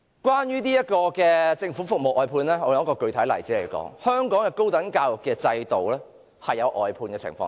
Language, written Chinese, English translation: Cantonese, 關於政府服務外判一事，我現在用一個具體例子說明，香港高等教育的制度，已出現外判的情況。, Concerning the outsourcing of government services let me cite a specific example to illustrate my point . Outsourcing can already be seen in the higher education system in Hong Kong